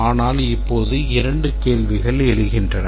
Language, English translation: Tamil, But there are two questions that arise now